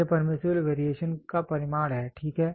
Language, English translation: Hindi, It is a magnitude of permissible variation, ok